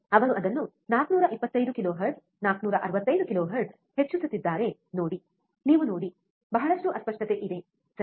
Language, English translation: Kannada, See he is increasing it 425 kilohertz, 465 kilohertz, you see, there is lot of distortion, lot of distortion, right